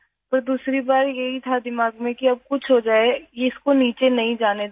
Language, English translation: Urdu, But the second time it was in my mind that if something happens now, I will not let it lower down